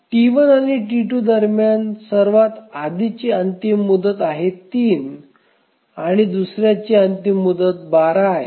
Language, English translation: Marathi, So, between T1 and T2, which has the earliest deadline, one has deadline three and the other has deadline 12